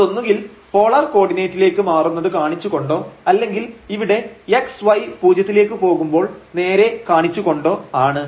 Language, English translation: Malayalam, So, this will be 0, whether showing by changing to polar coordinate or directly here when x y goes to 0